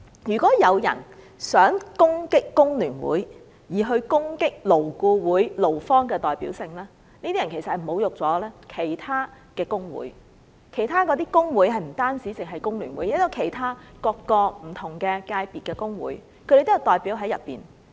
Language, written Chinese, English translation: Cantonese, 如果有人想攻擊工聯會從而攻擊勞顧會勞方的代表性，他們其實是侮辱了其他工會。這些工會不止是工聯會，還有其他不同界別的工會，當中都有他們的代表。, If someone wishes to challenge the representativeness of the employee representatives at LAB by attacking FTU what he or she does is tantamount to an affront to various trade unions as LAB is comprised of representatives from trade unions of various industries and FTU is just one of them